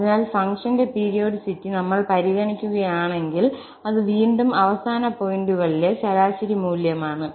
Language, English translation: Malayalam, So, if we consider the periodicity of the function, it is actually again the average value at the end points as well